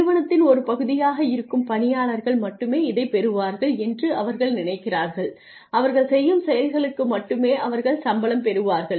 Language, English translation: Tamil, People feel that the employees who are a part of the system feel that they will get only they will get paid for only what they do